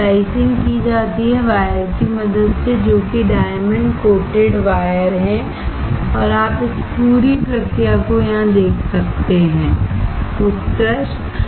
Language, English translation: Hindi, Slicing is done using the wires which are diamond coated wire and you can see this whole process here, excellent